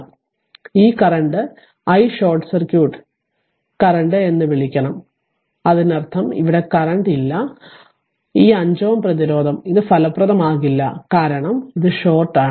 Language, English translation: Malayalam, So, this current we are taking i what you call that your short circuit current; that means, here no current here 5 5 ohm this thing resistance actually it will ineffective the because this is shorted